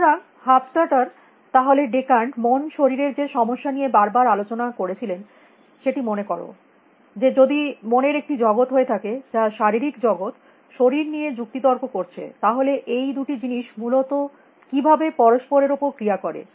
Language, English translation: Bengali, So, Hofstadter, so remember this mind body problem which Decant was blipping with that if there is this world of the mind which is reasoning about the real physical world out there the body; how do the two things interact essentially